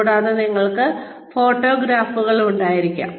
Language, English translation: Malayalam, And, you could have photographs